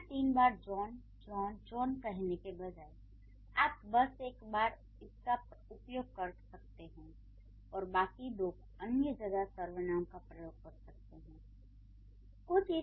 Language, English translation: Hindi, So, instead of saying John, John, John three times, you can simply use it once and the two other times you can use the pronouns